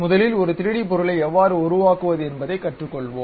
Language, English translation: Tamil, First of all we will learn how to construct a 3D object ok